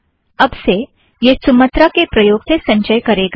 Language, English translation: Hindi, Okay, from now on it is going to compile using Sumatra